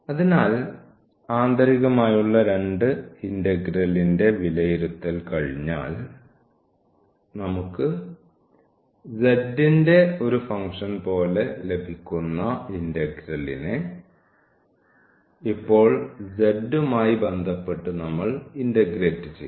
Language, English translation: Malayalam, So, once we have the evaluation of the inner 2 integral that we are getting like a function of z and now we will integrate with respect to z